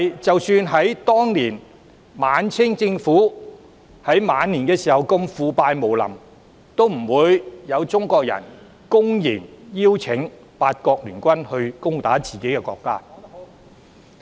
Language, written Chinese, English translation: Cantonese, 即使在晚清時期，政府如此腐敗無能，也不會有中國人公然邀請八國聯軍攻打自己的國家。, Even in the late Qing Dynasty with an utterly corrupt and inept government no Chinese would blatantly invite the Eight - Power Allied Forces to invade their own land